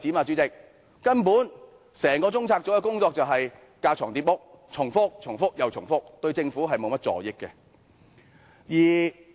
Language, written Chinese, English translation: Cantonese, 主席，根本整個中策組的工作架床疊屋，重複又重複，對政府沒甚助益。, Chairman the work of the entire CPU is in fact duplicated and repetitive . It is not of much help to the Government